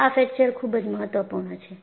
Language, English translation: Gujarati, These features are very important